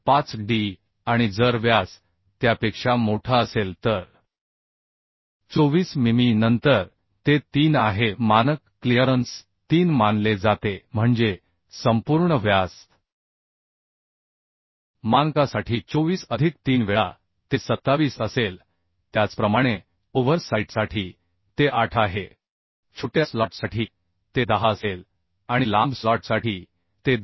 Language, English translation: Marathi, 5d and if the diameter is greater than 24 mm then it is 3 the standard clearance is considered 3 that means the whole diameter for standard is will be 24 plus 3 times it is 27 Similarly for over site it is 8 for short slot it will be 10 and for long slot it will be 2